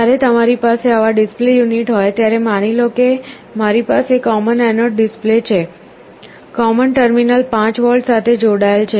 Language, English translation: Gujarati, When you have a display unit like this let us assume that I have a common anode display, common terminal is connected to 5V